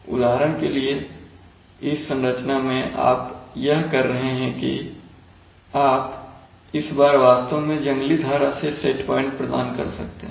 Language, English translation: Hindi, For example, in this configuration what you are doing is, see, you are this time you are actually providing the set point from the wild stream